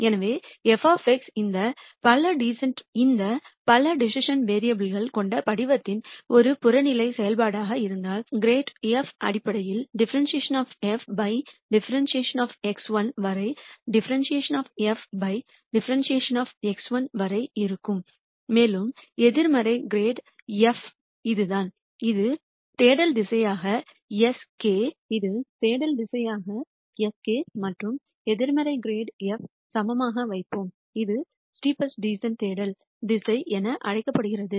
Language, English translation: Tamil, So, if f of x is an objective function of the form with this many decision variables then grad f is basically dou f dou x 1 all the way up to dou f dou x 1 and negative grad f would be this, and we keep this as the search direction s k equal to negative grad f and this is called the steepest descent search direction